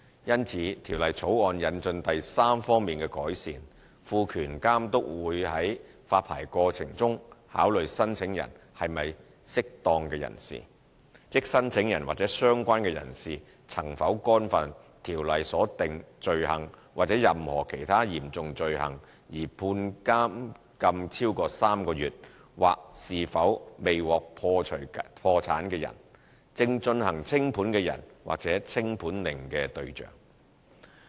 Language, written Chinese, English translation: Cantonese, 因此，《條例草案》引進第三方面的改善，賦權監督在發牌過程中考慮申請人是否"適當"人士，即申請人或相關人士曾否干犯《條例》所訂罪行或任何其他嚴重罪行而被判監禁超過3個月，或是否未獲解除破產的人、正進行清盤的人或清盤令的對象。, Therefore the Bill introduces the third enhancement by empowering the Authority to take into account in the licensing process whether an applicant is a fit and proper person that is whether the applicant has committed an offence under the Ordinance or any other serious offence resulting in a sentence to imprisonment for more than three months or is a undischarged bankrupt in liquidation or the subject of a winding - up order